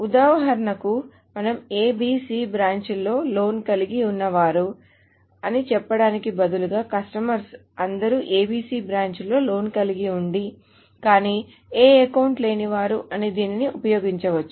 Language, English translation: Telugu, So for example, we can use this to say, well, instead of having a loan at ABC branch, find me all customers having a loan at ABC branch, but not any account